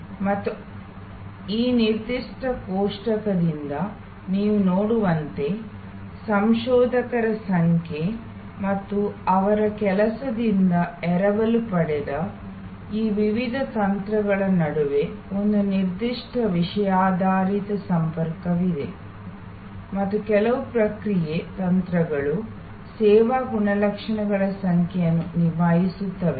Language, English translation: Kannada, And as you will see you from this particular table, borrowed from number of researcher and their work that there is a certain thematic linkage among those various strategies and some of the response strategies actually tackle number of service characteristics